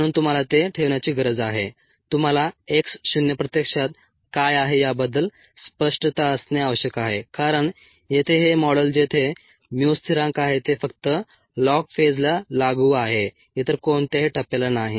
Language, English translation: Marathi, so we need to keep ah, we need to have clarity on what x zero actually is, because this model where mu is a constant, is applicable only to the log phase, not any other phase